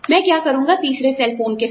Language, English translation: Hindi, What will i do, with the third cell phone